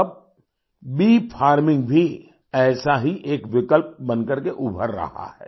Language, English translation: Hindi, Now bee farming is emerging as a similar alternative